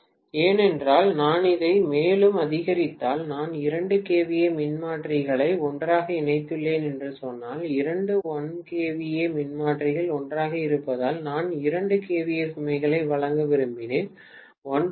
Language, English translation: Tamil, Because if I increase it further, if I say that I have put 2 kVA transformers together, two 1 kVA transformers together because I wanted to supply a 2 kVA load, at 1